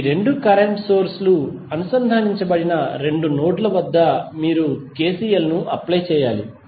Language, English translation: Telugu, You have to apply KCL at two nodes where these two current sources are connected